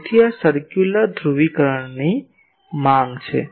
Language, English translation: Gujarati, So, this is the demand for circular polarisation